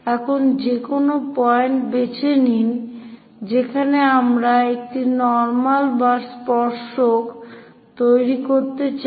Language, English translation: Bengali, Now, pick any point where we would like to construct a normal or tangent